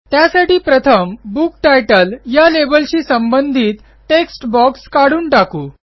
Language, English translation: Marathi, For this, let us first remove the text box adjacent to the Book Title label